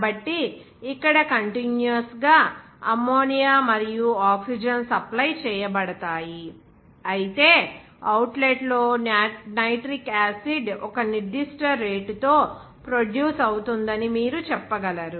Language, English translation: Telugu, So, continuous here, Ammonia and oxygen are supplied, whereas the outlet, you can say that nitric acid will be produced at a certain rate